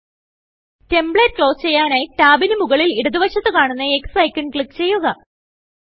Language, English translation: Malayalam, To close the template, click the X icon on the top left of tab